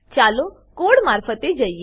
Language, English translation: Gujarati, Let us go through the code